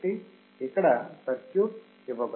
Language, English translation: Telugu, So, you see here this circuit is given